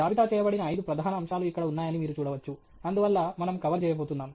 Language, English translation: Telugu, You can see here there are five major aspects that are listed and so that’s what we are going to cover